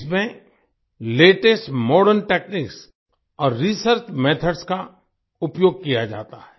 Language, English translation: Hindi, Latest Modern Techniques and Research Methods are used in this